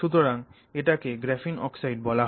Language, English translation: Bengali, And so this is called graphene oxide